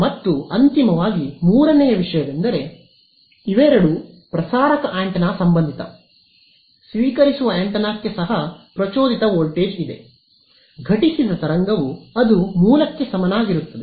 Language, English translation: Kannada, And finally, the third thing so, these are both for a transmitting antenna, for a receiving antenna also there is an induced voltage I mean induced there is a incident wave that will produce an equivalent of a source